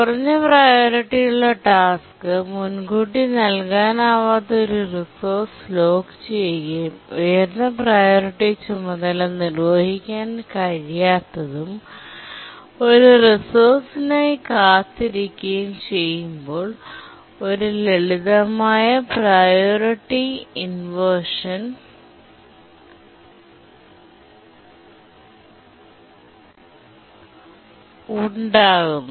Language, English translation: Malayalam, A simple priority inversion arises when a low priority task has locked a non preemptible resource and a higher priority task cannot execute and just waits for a resource